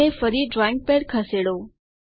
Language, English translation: Gujarati, And again move the drawing pad